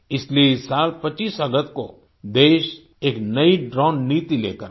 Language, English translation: Hindi, Which is why on the 25th of August this year, the country brought forward a new drone policy